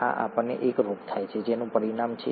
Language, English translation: Gujarati, The, we get a disease thatÕs the result